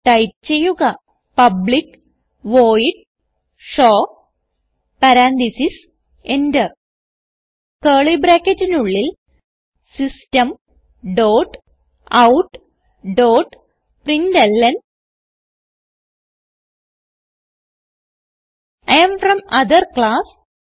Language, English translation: Malayalam, So type public void show parentheses Enter Inside curly brackets, System dot out dot println I am from other class